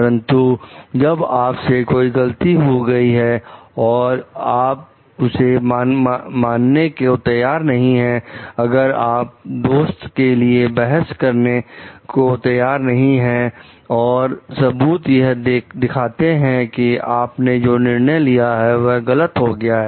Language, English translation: Hindi, But when you have done a mistake and but you are not open to accept it, if you are not open to like take care heed for the arguments and proof shows that maybe the judgment that you were taken has been mistaken